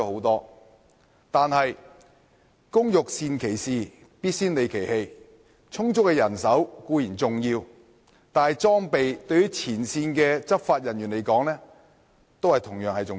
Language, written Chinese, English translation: Cantonese, 然而，工欲善其事，必先利其器。充足的人手固然重要，但裝備對於前線的執法人員來說同樣重要。, Since good tools are required for a good job it is important to have sufficient manpower while equipment is equally important to frontline law enforcement officers